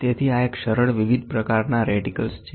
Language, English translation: Gujarati, So, this is a simple different types of reticles